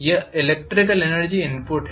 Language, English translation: Hindi, This is the electrical energy input